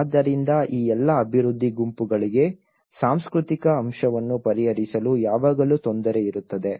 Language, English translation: Kannada, So, there is always a difficulty for all these development groups to address the cultural aspect